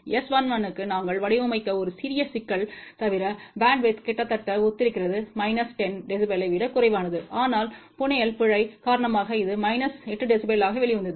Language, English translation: Tamil, Bandwidth is almost similar except there is a small problem that we had designed it for S 1 1 less than minus 10 dB, but because of the fabrication error it came out to be minus 8 dB